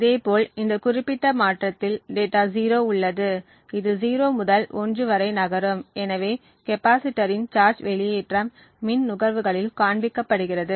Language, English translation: Tamil, Similarly, in this particular transition we have data 0 which is moving from 0 to 1 and therefore the discharging of the capacitor shows up in the power consumption